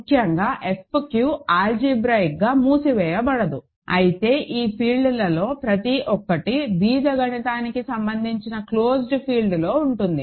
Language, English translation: Telugu, So, in particular F q cannot be algebraically closed; however, each of these fields is contained in an algebraically closed field